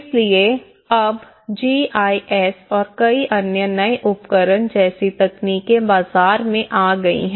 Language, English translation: Hindi, So here, now the technologies like GIS and many other new tools have come in the market